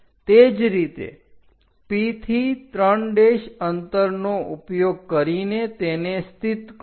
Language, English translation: Gujarati, Similarly, from P use 3 prime distance locate there